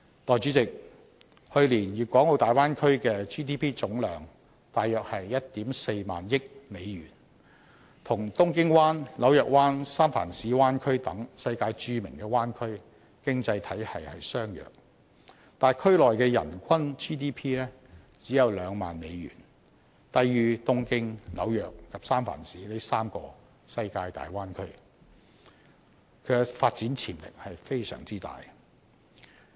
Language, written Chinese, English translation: Cantonese, 代理主席，去年大灣區的 GDP 總量約 14,000 億美元，與東京灣、紐約灣、三藩市灣區等世界著名的灣區經濟體系相若，但區內的人均 GDP 只有2萬美元，低於東京、紐約及三藩市這3個世界大灣區，其發展潛力非常大。, Deputy President the GDP of the Bay Area last year was about US1,400 billion which was comparable to those of other world famous bay areas such as the Tokyo Bay Area the New York Bay Areas and the San Francisco Bay Area but the GDP per capita of the Bay Area was only US20,000 which was lower than these three bay areas . Thus the Bay Area has a huge development potential